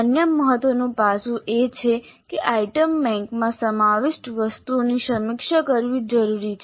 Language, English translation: Gujarati, The another important aspect is that the items included in an item bank must be reviewed